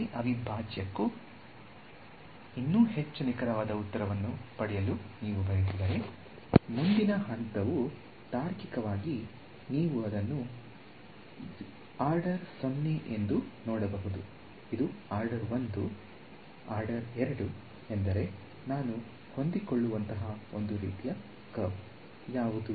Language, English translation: Kannada, If you wanted to get a even more accurate answer for the same integral, the next step logically you can see this was order 0, this was order 1; order 2 means I what is a kind of curve that I will fit